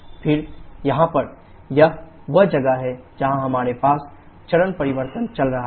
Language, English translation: Hindi, Then here to this, this is where we have the phase change going on